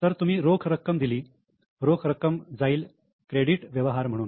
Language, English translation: Marathi, So, you have paid cash, cash will go down, it will appear as a credit transaction